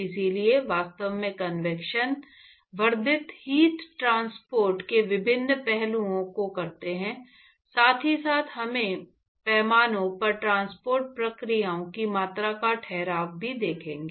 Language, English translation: Hindi, So, we will actually while doing different aspects of convection enhanced heat transport, we will also look at corresponding quantification of mass transport processes simultaneously